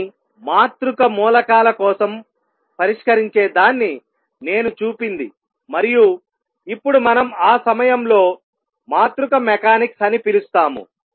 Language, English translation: Telugu, But what I should point out that solving for matrix elements and what is now we will call matrix mechanics at that time was a very tough job